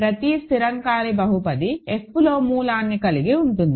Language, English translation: Telugu, So, every non constant polynomial has a root in F